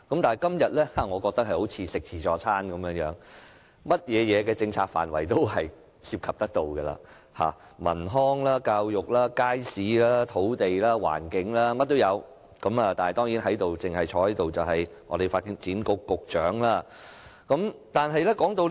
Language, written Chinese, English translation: Cantonese, 至於今天的議案，我認為它好像自助餐，涉及所有政策範疇，包括文康、教育、街市、土地和環境，樣樣俱全，但在席的政府官員卻只有發展局局長。, As for todays motion I would say it is like a buffet . It involves all policy areas covering culture and leisure education public markets land and environment you name it . Still only one government official is present here―the Secretary for Development